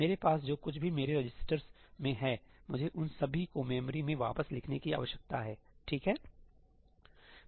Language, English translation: Hindi, Whatever I have in my registers, I need to write them all back to the memory, right